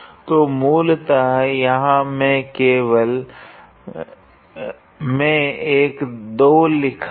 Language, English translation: Hindi, So, basically I have written a 2 here